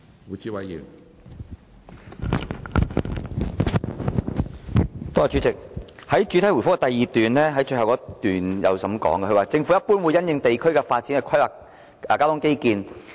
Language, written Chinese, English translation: Cantonese, 主席，局長在主體答覆的第二部分最後一段指出，"政府一般會因應地區的發展去規劃交通基建。, President in part 2 of the main reply the Secretary pointed out in the last paragraph that the Government will generally plan transport infrastructure in the light of district development